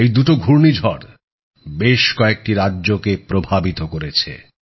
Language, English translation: Bengali, Both these cyclones affected a number of States